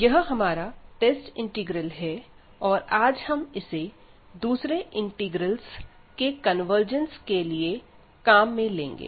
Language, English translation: Hindi, So, this integral which is the test integral, and today we will use this integral to prove the convergence of other integrals